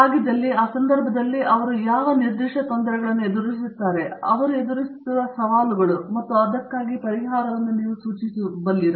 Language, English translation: Kannada, And if so, I mean or in that context, are there specific difficulties that they face as they come in, challenges that they face and if so, how do you go about addressing